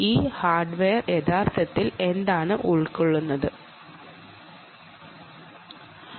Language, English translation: Malayalam, so what does this hardware actually comprise